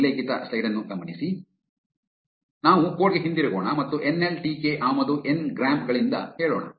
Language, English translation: Kannada, So, let us go back to the code and say from nltk import ngrams